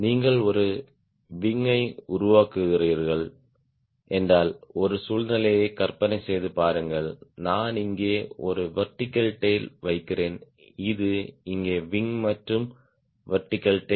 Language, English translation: Tamil, imagine a situation if you are making a wing and putting a vertical tail here, this is the wing and vertical tail here